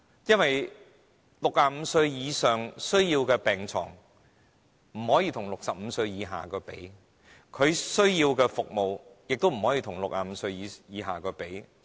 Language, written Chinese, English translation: Cantonese, 因為65歲以上人士需要的病床不可與65歲以下人士相比，他們需要的服務亦不可以與65歲以下人士相比。, This is because the beds demand of people aged 65 or above cannot be compared with that of people under 65 and the services they need can also not be compared to those of people under 65